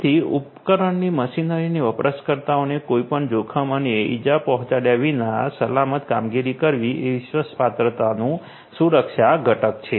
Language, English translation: Gujarati, So, safe operations of the device of the machinery and the people without posing any risks and injury that is the safety component of the trustworthiness